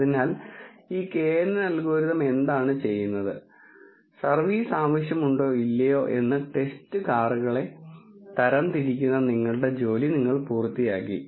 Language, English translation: Malayalam, So, that is what this knn algorithm does and you have actually nished your job of classifying the test cars as whether the service is needed or not